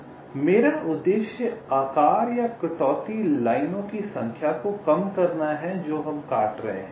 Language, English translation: Hindi, so my objective is to minimize the size or the cuts, the cut size number of lines which are cutting